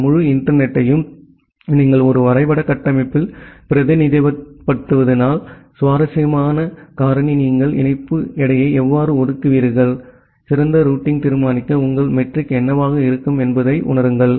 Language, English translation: Tamil, And if you represent this entire internet in a graph structure, then the interesting factor comes that how will you assign the link weight, that what will be your metric for deciding the best routing